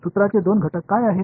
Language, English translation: Marathi, What are the two ingredients of the formula